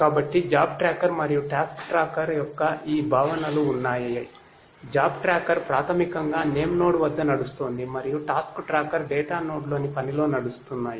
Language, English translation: Telugu, So, are these concepts of the job tracker and task tracker, the job tracker are basically running at the name nodes and the task trackers are running in the task in the data node right